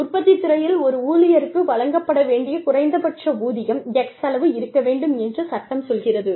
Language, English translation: Tamil, The law will tell you that, the minimum wage, that has to be given to an employee, in the manufacturing sector is x